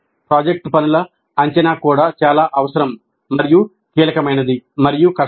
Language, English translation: Telugu, Now the assessment of project workup is also very essential and crucial and difficulty also